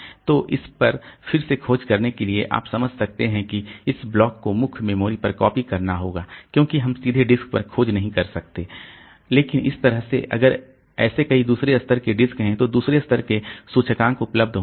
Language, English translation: Hindi, So, for searching onto this again you can understand that this block has to be copied onto main memory because we cannot search directly on disk but that way you are just if there are multiple such second level disk second level indices available